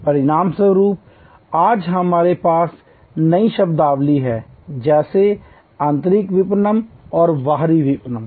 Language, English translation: Hindi, As a result today we have new terminologies like say internal marketing and external marketing